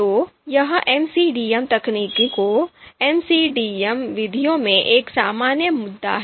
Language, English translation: Hindi, So this is a generic issue in in the MCDM techniques, MCDM methods